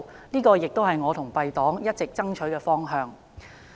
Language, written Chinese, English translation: Cantonese, 這亦是我與敝黨一直爭取的方向。, This is also the direction that I have been striving for together with my party